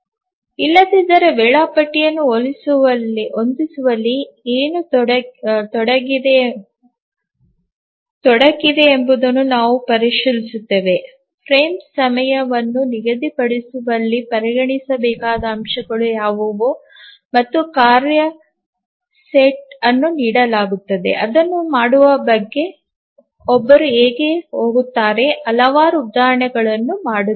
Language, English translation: Kannada, We will examine what is involved in setting up a schedule in fixing the frame time, what are the factors to be considered and given a task set how does one go about doing it